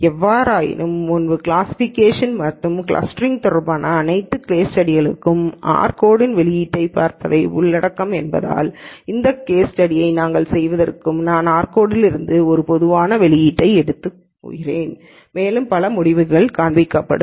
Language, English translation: Tamil, However, before we do this case study since all the case studies on classification and clustering will involve looking at the output from the r code, I am going to take a typical output from the r code and there are several results that will show up